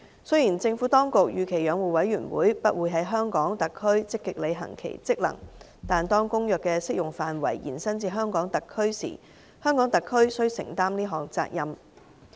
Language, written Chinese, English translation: Cantonese, 雖然政府當局預期養護委員會不會在香港特區積極履行其職能，但當《公約》的適用範圍延伸至香港特區時，香港特區須承擔這項責任。, While the Administration does not anticipate that the Commission will actively perform its function in HKSAR it is an obligation applicable to HKSAR once the Convention is extended to HKSAR